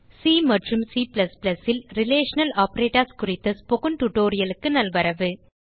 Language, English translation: Tamil, Welcome to the spoken tutorial on Relational Operators in C and C++